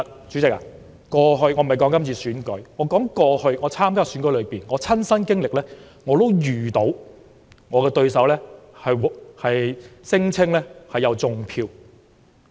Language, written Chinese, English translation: Cantonese, 主席，我不是說今次選舉，我想說在過去我曾參加的選舉中，我也遇過對手聲稱有"種票"的情況。, President I am not talking about the coming election . I want to say that in one of the elections that I ran in I was accused of vote rigging by my rival